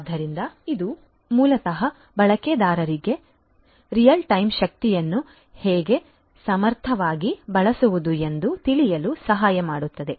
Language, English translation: Kannada, So, this basically will help the users to learn how to use the energy in real time in an efficient manner